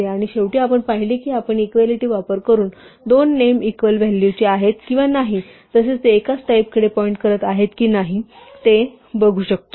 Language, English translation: Marathi, And finally, we saw that we can use equality and is as two different operators to check whether two names are equal to only in value or also are physically pointing to the same type